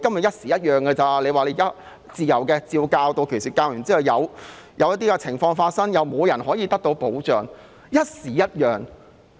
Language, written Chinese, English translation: Cantonese, 一時一樣，今天說自由，屆時照史實教授後，有情況發生又沒有保障。, The answers change with time . Even though teachers are said to have freedom today they are not protected if they have taught the facts according to history and then something happens